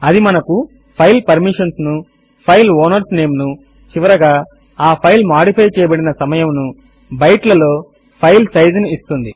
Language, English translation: Telugu, It gives us the file permissions, file owners name, last modification time,file size in bytes etc